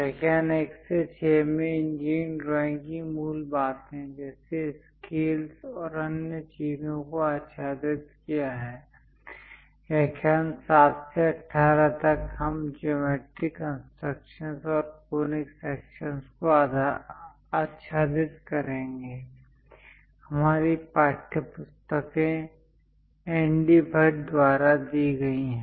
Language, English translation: Hindi, In the lecture 1 to 6, we have covered the basics of engineering drawing like scales and other things, from lecture 7 to 18; we will cover geometry constructions and conic sections; our textbooks are by N